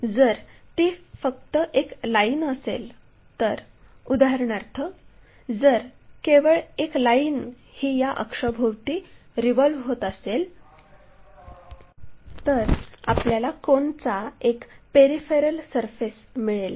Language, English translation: Marathi, If, it is just a line for example, only a line if we revolve around this axis, we get a peripheral surface of a cone